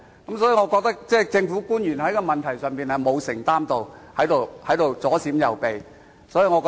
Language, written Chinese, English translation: Cantonese, 因此，我認為政府官員在這問題上並沒有作出承擔，只是左閃右避。, For this reason I think government officials have not made any commitments with regard to this issue and they only shirk their responsibilities